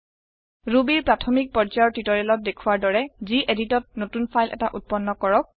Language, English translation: Assamese, Create a new file in gedit as shown in the basic level Ruby tutorials